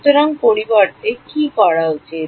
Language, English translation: Bengali, So, should I do instead